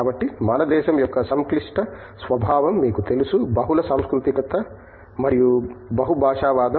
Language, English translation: Telugu, So, they need to, you know the complex nature of our country in terms of it is multiculturalism and multilingualism